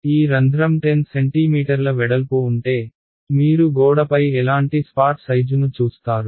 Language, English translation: Telugu, If this hole is 10 centimeters wide, how what kind of a spot size will you see on the wall